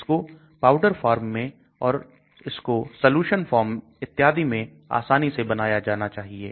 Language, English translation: Hindi, It should be easily made into a powder form or it should be made into a solution form and so on actually